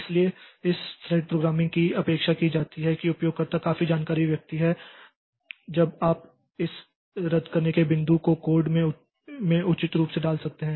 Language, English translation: Hindi, So, this thread programming is expected that the user is a knowledgeable person, then the and that fellow can put this cancellation points appropriately in the code